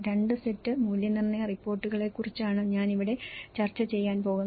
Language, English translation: Malayalam, There are two sets of assessment reports, I am going to discuss here